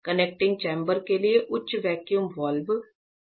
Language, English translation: Hindi, This is the high vacuum valve for the connecting chamber